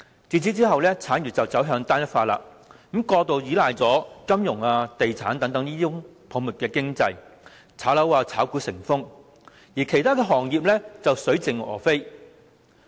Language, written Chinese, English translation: Cantonese, 自此以後，產業走向單一化，過度依賴金融、地產業等泡沫經濟，炒樓炒股成風，其他行業卻水盡鵝飛。, From then on our industries have become increasingly homogeneous overly relying on the financial and property industries which constituent a bubble economy . While property and stock speculation is rife other industries can hardly survive